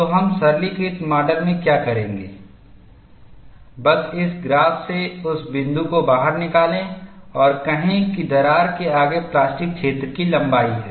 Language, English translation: Hindi, So, what we will do in the simplistic model is, just pick out that point from this graph and say that is the length of plastic zone ahead of the crack